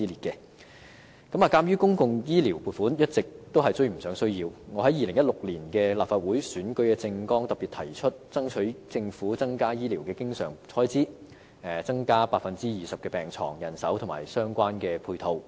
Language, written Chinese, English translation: Cantonese, 鑒於公共醫療撥款一直追不上需要，我在2016年立法會的選舉政綱特別提出爭取政府增加醫療經常開支，包括增加 20% 的病床、人手和相關配套。, Given that the public health care funding has consistently failed to catch up with the needs in my platform in the 2016 Legislative Council Election I particularly proposed to strive for an increase in the Governments recurrent health care expenditure including an increase of 20 % in hospital beds manpower and relevant matching facilities